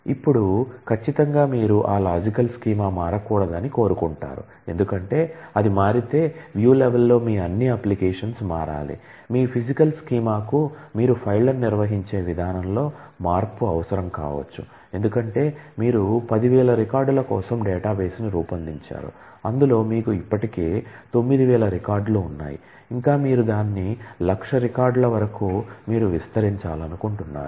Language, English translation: Telugu, But it is quite possible that your physical schema the way you have organizing files and so on might need a change, because maybe it is just that you had designed the database for 10,000 records and you already have 9000 records and you would like to expand it to maybe 1,00,000 records